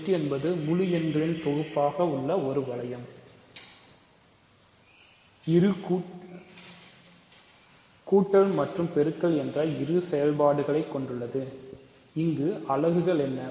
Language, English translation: Tamil, So, the Z the set of integers Z is a ring, because we saw that it has addition and multiplication, what are the units